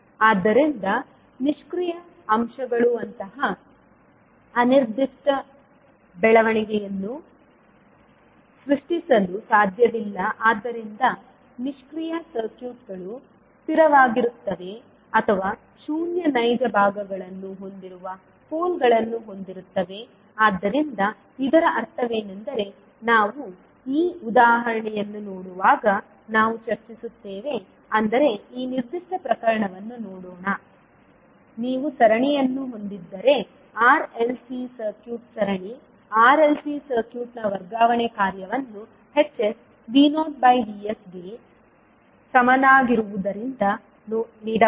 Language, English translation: Kannada, So the passive elements cannot generate such indefinite growth so passive circuits either are stable or have poles with zero real parts so what does it mean we will as discuss when we will see this particular example let us see this particular case, if you have a series r l c circuit the transfer function of series r l c circuit can be given as h s is equal to v not by v s